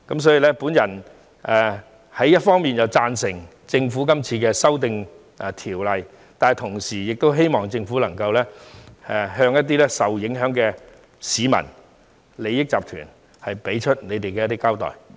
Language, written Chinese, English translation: Cantonese, 所以，我一方面贊成政府今次修訂有關條例，但同時希望政府能夠向一些受影響的市民和利益集團作出交代。, Therefore on the one hand I support the Governments amendments to the relevant ordinance in this exercise; but at the same time I also hope the Government can explain the case to those members of the public and interest groups being affected